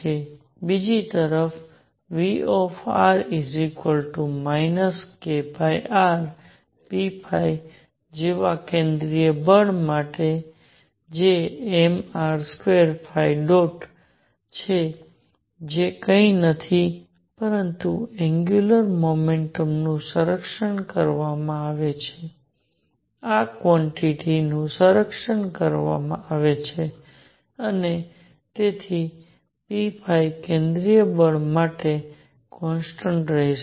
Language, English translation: Gujarati, On the other hand, for central force like V r equals minus k over r, p phi which is m r square phi dot which is nothing, but the angular momentum is conserved this quantity is conserved and therefore, p phi is going to be constant for a central force